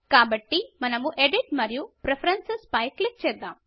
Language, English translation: Telugu, So we will click on Edit and Preferences